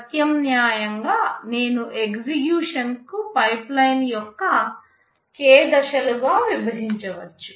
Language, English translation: Telugu, Alternatively, I can divide the execution into k stages of pipeline